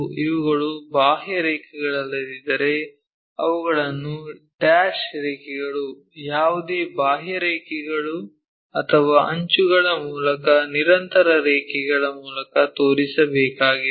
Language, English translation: Kannada, Unless these are outlines we show them by dash lines, any out lines or the edge kind of things we have to show it by continuous lines